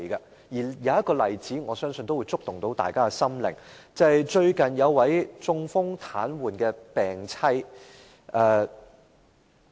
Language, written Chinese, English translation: Cantonese, 我相信有一個例子都能觸動大家的心靈，便是最近有關一位中風癱瘓病妻的個案。, I think there is an example that has touched the hearts of all Members and that is a recent case about a mans wife who became paralyzed after suffering from a stroke